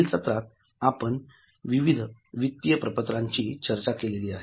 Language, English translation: Marathi, In the next part, we discussed about financial statements